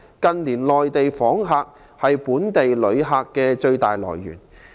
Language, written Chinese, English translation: Cantonese, 近年內地訪客是本地旅客的最大來源。, The Mainland has become our main source of visitors in recent years